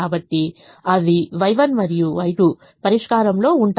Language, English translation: Telugu, y one and y two can be in the solution